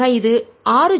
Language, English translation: Tamil, raise to six